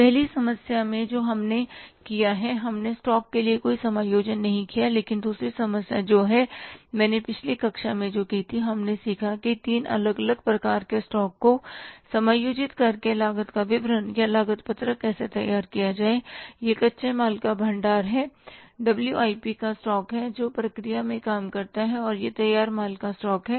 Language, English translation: Hindi, But the second problem which is this problem which I did in the last class here, we learned that how to prepare a cost sheet or the statement of cost by adjusting the three different types of the stocks, that is a stock of raw material, stock of WIP, that is the work in process, and the stock of the finish course